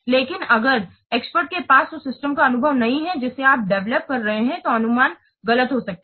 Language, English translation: Hindi, But if the experts they don't have experience of the system that you are developing, then the estimation may be wrong